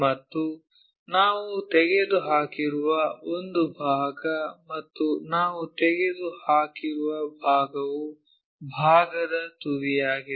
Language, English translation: Kannada, And, one part we have removed and the part what we have removed is apex side of the part